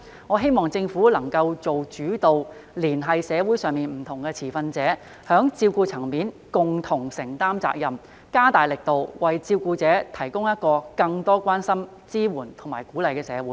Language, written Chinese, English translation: Cantonese, 我希望政府能夠做主導，連繫社會上不同持份者，在照顧層面上共同承擔責任，加大力度，為照顧者提供一個有更多關心、支援和鼓勵的社會。, I hope that it can take the initiative to bring together various stakeholders in society to take on the caring responsibilities together and make greater efforts to build a more caring supportive and encouraging society for carers